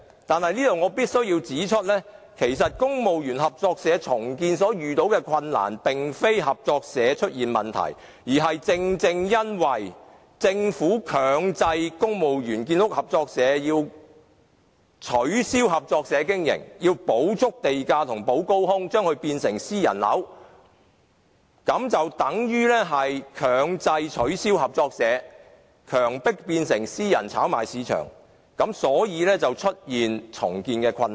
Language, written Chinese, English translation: Cantonese, 但我必須指出，其實公務員合作社重建所遇到的困難，並非合作社出現問題，而是因為政府強制公務員建屋合作社須取消合作社經營模式，要補足地價和"補高空"，將它變成私人樓，等於強制取消合作社，強迫這類房屋變成私人炒賣項目，所以才會出現重建困難。, I must point out that the difficulties encountered by CBS is not related to cooperative housing but because the Government forces CBS to abolish the operation mode of a cooperative society and requires them to pay the full premium as well as the premium calculated according to the increased permissible floor area . In so doing cooperative housing is turned into private housing and the operation of cooperative society is thus arbitrarily abolished turning this kind of housing into commodity for private speculation . That is why there are great difficulties in redevelopment